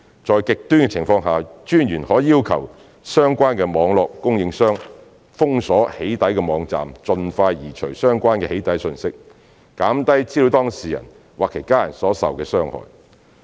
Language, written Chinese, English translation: Cantonese, 在極端情況下，私隱專員可要求相關網絡供應商封鎖"起底"網站，盡快移除相關"起底"訊息，減低資料當事人或其家人所受的傷害。, In extreme cases PCPD may request the relevant Internet service provider to block the doxxing website and remove the doxxing message as soon as possible to minimize the harm to the data subject or his family